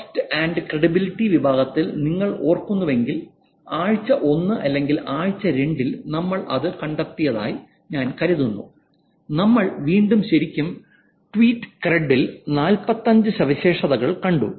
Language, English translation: Malayalam, And if you remember the account, if you remember the trust and tradability section, which is I think week one or week two that we saw, then we actually saw 45 features in Tweet Thread and in trust content and Twitter